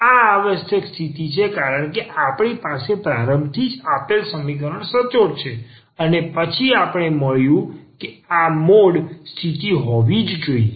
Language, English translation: Gujarati, And this is the necessary condition because we have a started with that the given equation is exact and then we got that this mod condition must hold